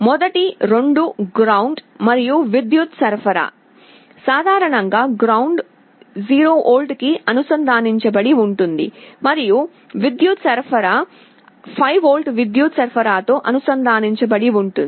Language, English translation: Telugu, The first 2 are ground and power supply, typically the ground is connected to 0V and power supply is connected to 5V power supply